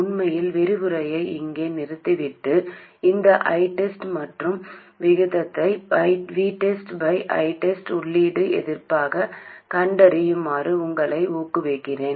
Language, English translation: Tamil, In fact, I would encourage you to stop the lecture right here and find this I test and the ratio v test by I test which will be the input resistance